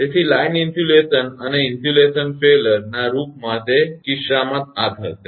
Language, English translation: Gujarati, So, in that case of the line insulation and cause insulation failure; this will happen